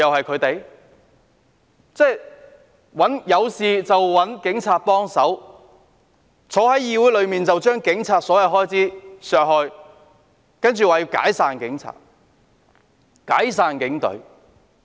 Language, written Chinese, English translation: Cantonese, 他們有事便找警察幫忙，但在議會裏，卻要將警務處的所有開支削減，並說要解散警隊。, When they have trouble they will seek help from the Police but in the Council they demand to cut all the expenditures of HKPF adding that the Police Force should be disbanded